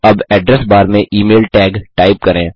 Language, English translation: Hindi, Now, in the Address bar, type the tag, email